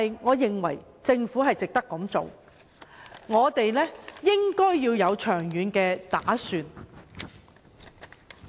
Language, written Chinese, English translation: Cantonese, 我認為政府值得這樣做，也應該作出長遠打算。, I think it is worthy for the Government to do so and the Government should make long - term planning